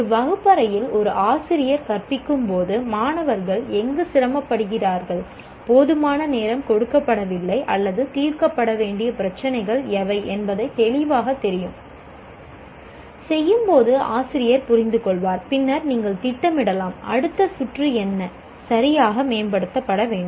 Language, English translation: Tamil, A teacher when he teaches in the classroom will know clearly where the students are finding it difficult, where the adequate time is not given or more problems to be solved, all that will be the teacher will understand during the process of doing and then he can plan for the next round what exactly to be improved in there